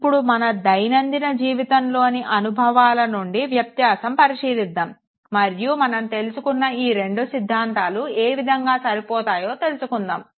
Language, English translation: Telugu, Let us now make a comparison of our day to day experience and try to fit it with these two theories that we have talked about